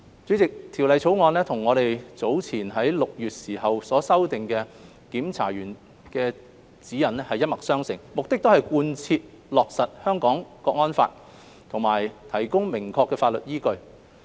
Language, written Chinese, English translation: Cantonese, 主席，《條例草案》與我們早前於6月時修訂的《檢查員指引》一脈相承，目的是貫徹落實《香港國安法》及提供明確的法律依據。, President the Bill is in line with the Guidelines for Censors which has been revised in June and is intended to provide a clear legal basis for the implementation of the National Security Law